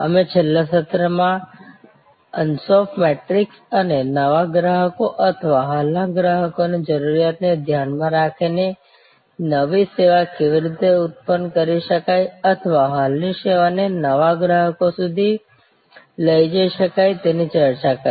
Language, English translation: Gujarati, We discussed in the last session, the Ansoff matrix and how new service can be generated in response to the need of new customers or existing customers or existing service can be taken to new customers